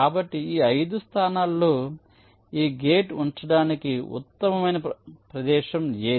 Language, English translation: Telugu, so, out of this five locations, which is the best location to place this gate